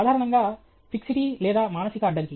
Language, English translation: Telugu, Basically, fixity or mental block